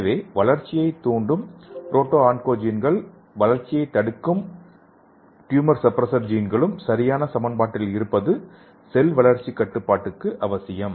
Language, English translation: Tamil, So this growth promoting proto oncogenes and growth restricting tumor suppressor genes this should be properly balanced for a control of cell growth